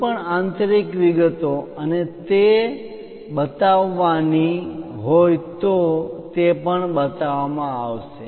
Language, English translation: Gujarati, If any inner details and so on to be shown that will also be shown